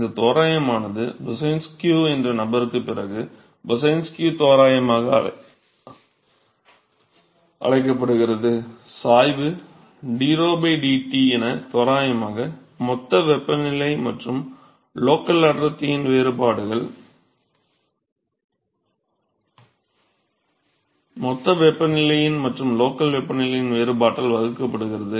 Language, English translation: Tamil, So, this approximation is what is called as Boussinesq approximation, after the person Boussinesq, approximating the gradient the density drho by dT as simply the differences in the bulk and the local density divided by the difference in the bulk temperature and the local temperature that is what is called boussinesq approximation yes S